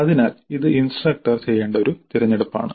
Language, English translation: Malayalam, So this is a choice that the instructor must make